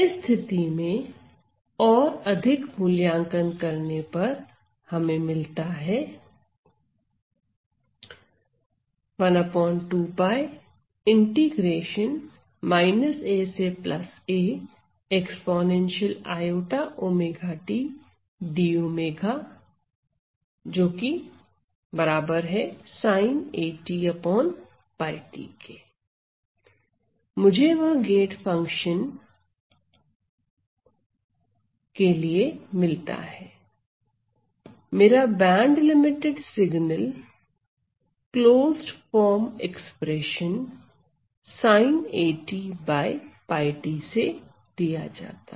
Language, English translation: Hindi, So, I get that for a gate function, my band limited signal is given by this, this following closed form expression sin a t by pi t ok